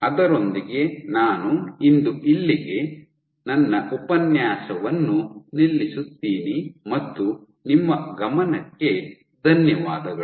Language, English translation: Kannada, With that I stop here for today and I thank you for your attention